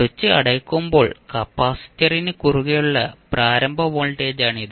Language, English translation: Malayalam, So this is our initial voltage across the capacitor when the switch is closed